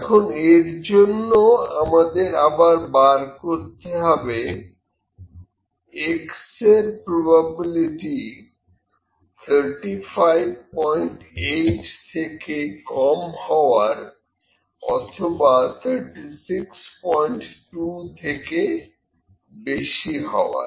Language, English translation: Bengali, Now, for this, we again need to find whether probability for X is less than 35